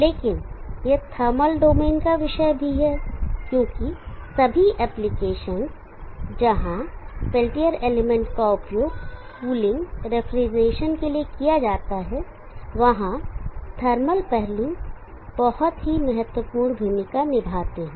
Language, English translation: Hindi, But there is also this topic of tamil domain, because all the applications where the peltier element is used is for cooling, refrigeration where thermal aspects play a very, very important role